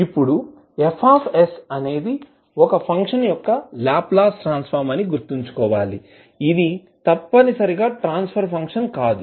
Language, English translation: Telugu, Now, we have to keep in mind that F s is Laplace transform of one function which cannot necessarily be a transfer function of the function F